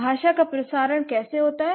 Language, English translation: Hindi, How does the transmission of language happens